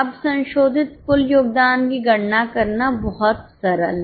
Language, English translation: Hindi, Now, the revised total contribution is very simple to calculate